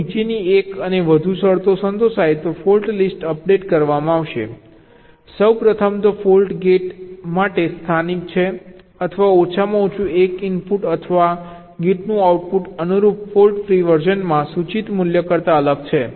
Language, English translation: Gujarati, fault list will be updated if one and more of the following conditions are satisfied: firstly, of course, the fault is local to the gate or the value implied at at least one input or the output of the gate is different from that in the corresponding fault free version